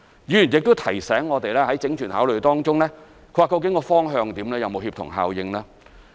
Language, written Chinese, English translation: Cantonese, 議員亦提醒我們，在整全考慮中究竟方向如何、有沒有協同效應。, Members have also reminded us of the direction in our holistic consideration of the project and the need to achieve the synergies